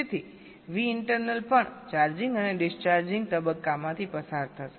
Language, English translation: Gujarati, so v internal will also be going through a charging and discharging phase